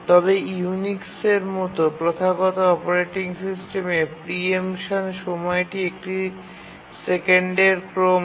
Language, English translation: Bengali, But if you look at the traditional operating systems such as the Unix, the preemption time is of the order of a second